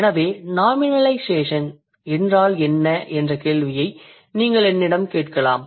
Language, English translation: Tamil, So you may ask me the question, what is nominalization